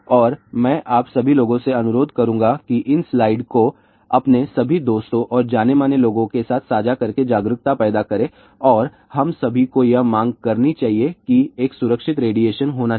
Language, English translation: Hindi, And I would request all of you people to share these slides with all your friends and known people to create awareness and we should all demand that there should be a safe radiation